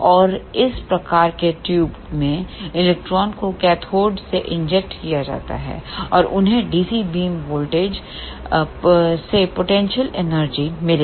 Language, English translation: Hindi, And in these type of tubes electrons are injected from the cathode and they will get potential energy from the DC beam voltage